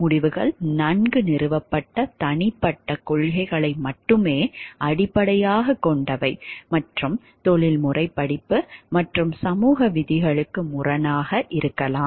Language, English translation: Tamil, Decisions are based only on well established personal principles and may contradict professional course and even society rules